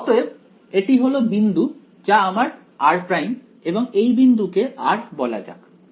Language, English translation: Bengali, So, this is this point over here this is my r prime and let us say this is my point r